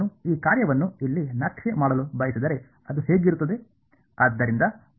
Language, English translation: Kannada, If I want to plot this function over here what will it look like